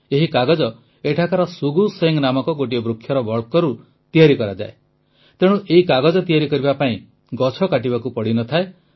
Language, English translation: Odia, The locals here make this paper from the bark of a plant named Shugu Sheng, hence trees do not have to be cut to make this paper